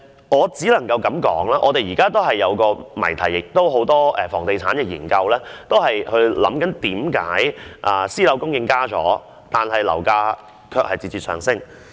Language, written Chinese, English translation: Cantonese, 我只可以說，現在出現了一個有關房地產研究的謎題：為何私樓供應增加了，樓價卻節節上升？, I can only say that there is now an enigma concerning real estate research and that is why is there still a surge in property prices when the supply of private housing has increased?